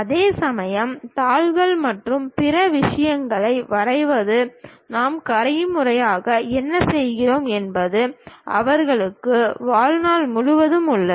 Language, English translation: Tamil, Whereas, a drawing sheets and other things what manually we do they have a lifetime